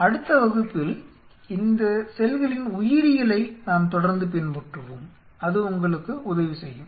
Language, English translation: Tamil, In the next class we will follow further with the biology of B cells which you help you because based on this